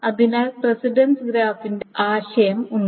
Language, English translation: Malayalam, So there is a notion of precedence graph